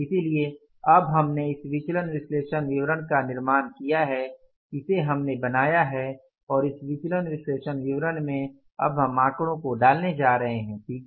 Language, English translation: Hindi, So, now we have created this variance analysis statement we have created and in this variance analysis statement we are going to now put the figures